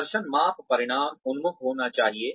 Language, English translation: Hindi, Performance measurement should be results oriented